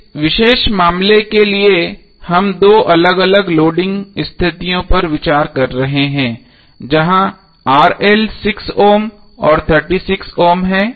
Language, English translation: Hindi, So for this particular case we are considering two different loading conditions where RL is 6 ohm and 36 ohm